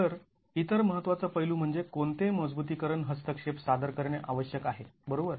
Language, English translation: Marathi, So, the other important aspect is what strengthening interventions must be introduced, right